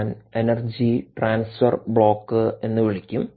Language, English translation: Malayalam, energy, yeah, i will call it energy transfer block